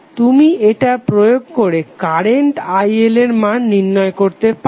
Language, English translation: Bengali, you can apply and get the value of current IL